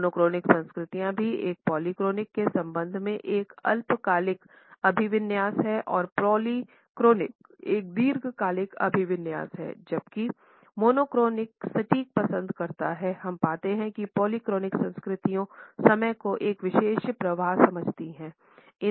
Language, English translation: Hindi, Monochronic culture also has a short term orientation in relation with a polychronic which is a long term orientation whereas, monochronic prefers precision we find that the polychronic cultures understand the time has a particular flow